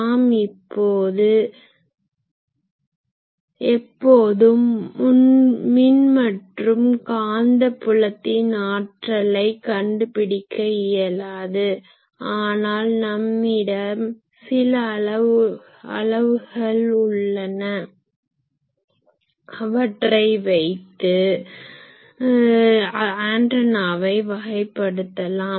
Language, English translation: Tamil, So, we always cannot find the power electric and magnetic fields, but we can have some measurements etc, by which we can always characterize that how the antenna is behaving